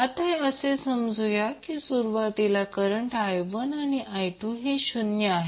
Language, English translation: Marathi, Now let us assume that first the current I 1 and I 2 are initially zero